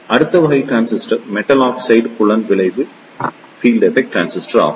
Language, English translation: Tamil, The next type of transistor is the Metal Oxide Field Effect Transistor